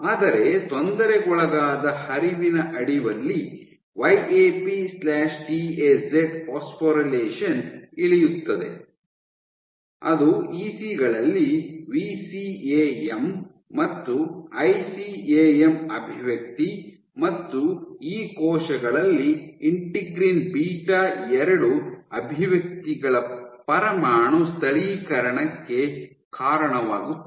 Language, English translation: Kannada, But under disturbed flow YAP/TAZ phosphorylation goes down that leads to nuclear localization up regulation of VCAM and ICAM expression in ECs and integrin beta 2 expression in these cells